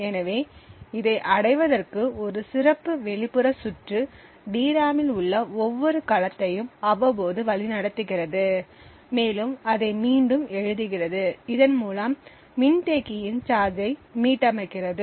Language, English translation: Tamil, So, in order to achieve this what would happen is that there would be a special external circuitry, which periodically leads every cell in the DRAM and rewrites it therefore restoring the charge of the capacitor